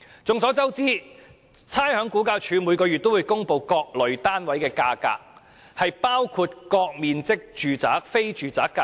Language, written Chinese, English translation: Cantonese, 眾所周知，差餉物業估價署每月均會公布各類單位的價格，包括各面積住宅、非住宅的價格。, As we all know RVD publishes every month the prices of various types of property units including the prices of residential and non - residential units of various sizes